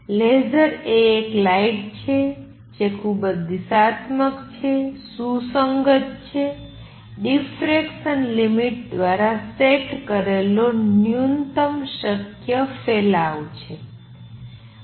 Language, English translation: Gujarati, Laser is a light, which is highly directional, coherent, has minimum possible spread set by the diffraction limit